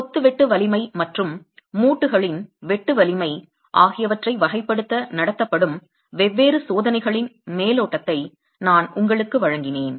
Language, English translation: Tamil, So, I gave you an overview of the different tests that are conducted to characterize shear strength of masonry and shear strength of the joints